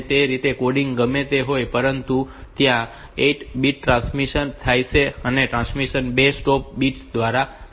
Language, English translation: Gujarati, So, that way whatever be the coding, those 8 bits will be transmitted and the transmission is concluded by 2 stop bits